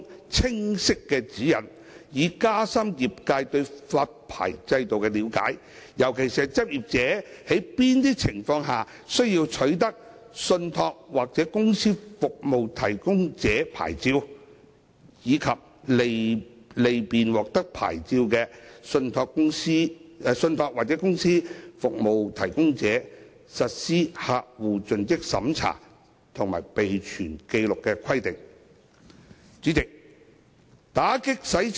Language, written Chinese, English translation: Cantonese, 法案委員會促請公司註冊處提供清晰指引，以加深業界對發牌制度的了解，尤其是執業者在哪些情況下需要取得信託或公司服務提供者牌照，以及利便獲發牌的信託或公司服務提供者實施客戶盡職審查及備存紀錄的規定。, The Bills Committee has urged the Registry to provide clear guidelines to enhance the industrys understanding of the licensing regime in particular the circumstances under which practitioners are required to obtain TCSP licences; and to facilitate licensed TCSPs in implementing CDD and record - keeping requirements